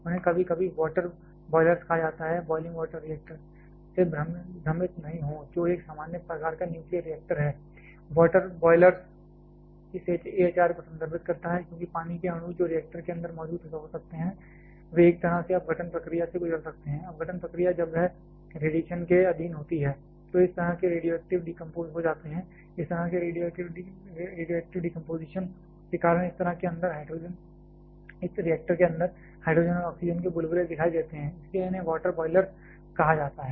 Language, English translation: Hindi, They are sometimes called as water boilers do not get confused with boiling water reactor which is a common type of nuclear reactor, water boiler refers to this AHR, because the water molecules that can be present inside the reactor, they can go through a kind of decomposition process when that is subjected to the radiation, such kind of radioactive decomposes, because of such kind of radioactive decomposition hydrogen and oxygen bubbles may appear inside this reactor; that is why they are called water boilers